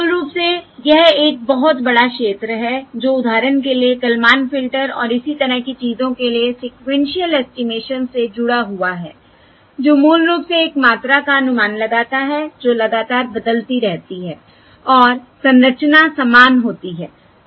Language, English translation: Hindi, Basically, this is a very big area which ties to sequential estimation, for instance for things such as the Kalman filter and so on, which basically estimates a quantity which is continuously varying and the structure is the same